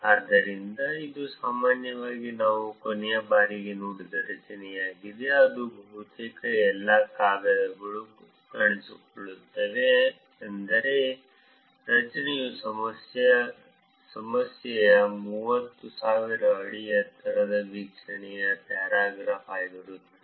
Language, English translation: Kannada, So, this is generally the structure that we saw even the last time, meaning almost all papers appears see the structure would be the same a paragraph about the 30,000 feet high view of the problem